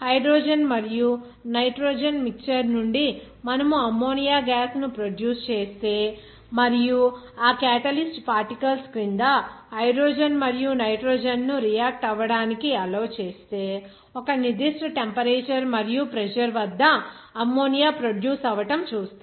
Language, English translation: Telugu, Like you will see that if suppose if we produce ammonia gas from the mixture of hydrogen and nitrogen and it is actually allowed to react that hydrogen and nitrogen under certain catalyst particles, then you will see at a certain temperature and pressure, you will see that ammonia will be produced